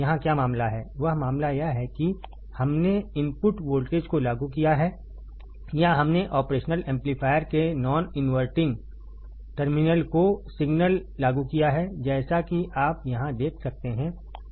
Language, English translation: Hindi, Here, what is the case, the case is that we have applied the input voltage or we applied the signal to the non inverting terminal of the operational amplifier as you can see here right